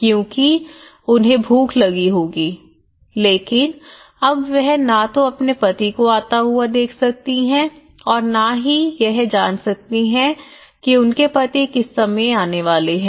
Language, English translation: Hindi, Because he will be starving but now he can only, she cannot see whether the husband is coming at what time is coming